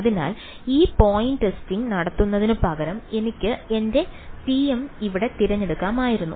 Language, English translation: Malayalam, So, we could instead of doing this point testing, I could have chosen my t m over here